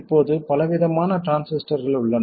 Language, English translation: Tamil, Now there is a wide variety of transistors